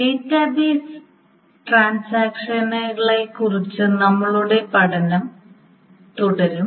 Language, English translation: Malayalam, We will continue with our study on the database transactions